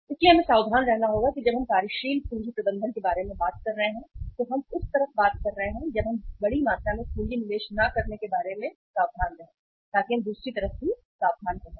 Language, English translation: Hindi, So we have to be careful that when we are talking about working capital management we are talking about that on the one side when we are careful about not investing huge amount of capital into the inventory so we should be careful on the other side also that the investment should not be too short